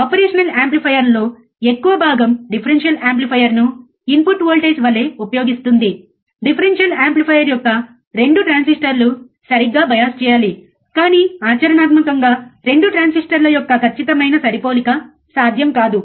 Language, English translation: Telugu, A most of the operational amplifier use differential amplifier as the input voltage the 2 transistor of the differential amplifier must be biased correctly, but practically it is not possible to exact match exact matching of 2 transistors